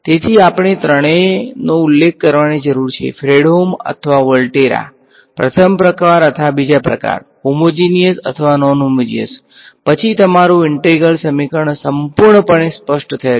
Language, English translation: Gujarati, So, we need to specify all three: Fredholm or Volterra, first kind or second kind, homogeneous or non homogeneous then your integral equation is fully specified